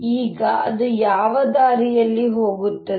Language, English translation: Kannada, now which way would it go for that